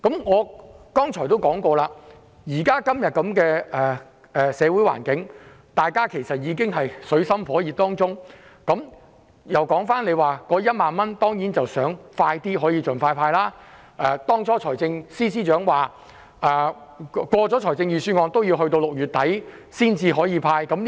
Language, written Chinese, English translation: Cantonese, 我剛才亦提及，今天的社會局面，其實大家也處於水深火熱之中，我當然希望可以盡快派發1萬元，當初財政司司長也說，通過預算案後仍要等到6月底才能派發。, As I said just now many people are in the abyss of suffering in the face of the present situation . I certainly hope that the 10,000 cash handout can be expeditiously distributed to the people . The Financial Secretary has already made it clear that the cash handout will be made available only by the end of June after the passage of the Budget